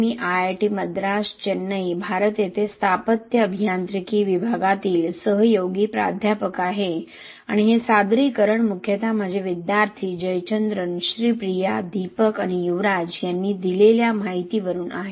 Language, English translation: Marathi, I am Radhakrishna Pillai I am associate professor in Department of Civil Engineering at IIT Madras, Chennai, India and this presentation is mainly from the inputs given by my students Jayachandran, Sri Priya, Deepak and Yuvraj